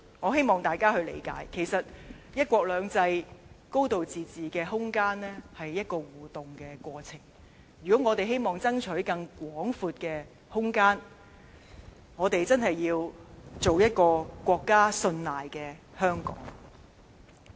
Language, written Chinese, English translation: Cantonese, 我希望大家理解，其實"一國兩制"、"高度自治"的空間是一個互動過程，如果我們希望爭取更廣闊的空間，我們真要做一個國家信賴的香港。, I wish Members can understand the interactive nature of one country two systems and a high degree of autonomy . If Hong Kong wants more room it will have to earn the trust of the nation